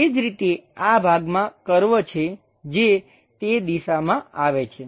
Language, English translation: Gujarati, Similarly, this portion have a curve comes in that direction